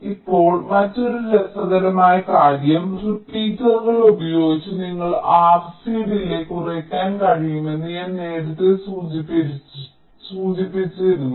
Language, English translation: Malayalam, now another interesting thing is that this i have mentioned earlier that you can reduce r c delays with repeaters